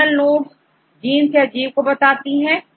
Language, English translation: Hindi, Terminal nodes represent any genes or any organisms